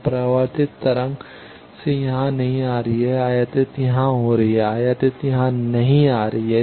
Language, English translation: Hindi, So, from reflected wave is not coming here, incident is coming here incident is not coming here